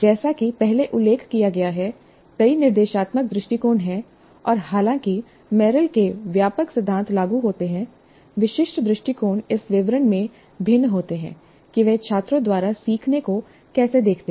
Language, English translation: Hindi, So as I mentioned, there are several instructional approaches and though the broad principles of material are applicable, the specific approaches do differ in the details of how they look at the learning by the students